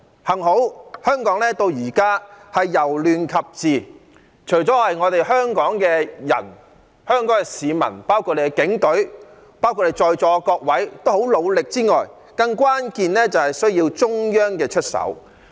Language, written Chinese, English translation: Cantonese, 幸好，香港到現在由亂及治，除了有賴香港市民，包括警隊及在座各位的努力之外，更關鍵的是需要中央出手。, Fortunately we have now halted chaos and restored order in Hong Kong . Apart from the efforts of Hong Kong people including the Police and everyone present in the Chamber and more importantly this is attributed to the actions taken by the Central Authorities